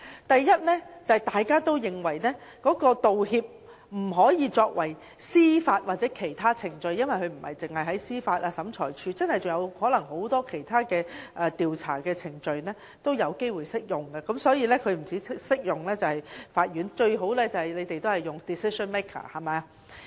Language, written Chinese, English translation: Cantonese, 第一，大家都認為道歉不應只適用於司法或其他程序，因為不止司法機關或審裁處，很多其他調查程序也有機會適用，因此不止法院適用，最好便是用 "decision maker" 這字眼。, First we all think that apology legislation should not be exclusively applicable to judicial or other proceedings . The reason is that besides judicial bodies or tribunals many other investigation proceedings may have to use it . Hence it is best to use the term decision maker; and second apology legislation should also be applicable to the Government